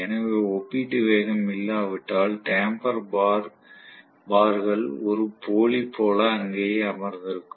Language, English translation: Tamil, So, if there is no relative velocity the damper bars are just sitting there like a dummy